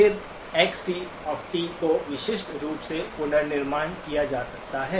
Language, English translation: Hindi, Then Xc of t can be uniquely reconstructed